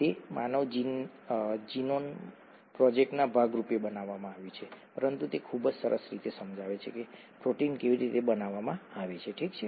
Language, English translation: Gujarati, It was made as a part of the human genome project, but it very nicely explains how proteins are made, okay